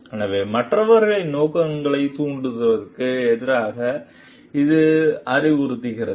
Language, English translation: Tamil, So, it advises against impugning the motives of others